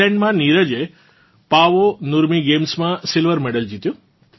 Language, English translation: Gujarati, Neeraj won the silver at Paavo Nurmi Games in Finland